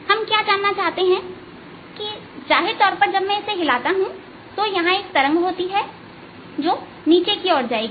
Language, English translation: Hindi, what we want to know is, obviously, when i move it, there is going to be wave travelling down